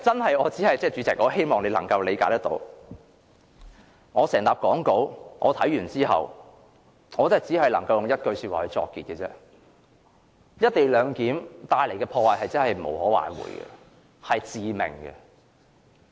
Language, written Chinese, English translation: Cantonese, 代理主席，希望你能夠理解，我看畢整疊講稿後，只能用一句話作結："一地兩檢"帶來的破壞是無可挽回和致命的。, Deputy President please try to understand that after going through the whole script of my speech I can only draw my conclusion with the following sentence the damage to be done by the co - location arrangement is irreversible and fatal